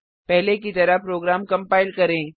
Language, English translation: Hindi, Compile the program as before